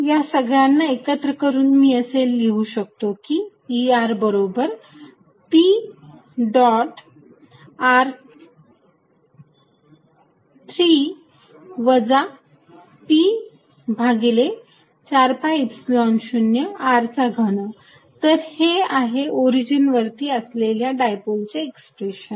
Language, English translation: Marathi, So, combining all these I can write E r as p dot r r with the 3 here minus p over 4 pi Epsilon 0 r cubed, this is the expression for a dipole sitting with any orientation now at the origin